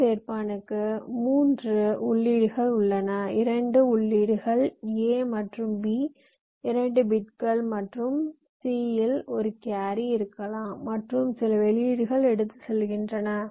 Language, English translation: Tamil, ah, full adder has three inputs: the two inputs a and b two bits and may be a carrion c, and the outputs are some and carry